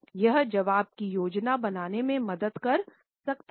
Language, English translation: Hindi, It can help us in planning our answer properly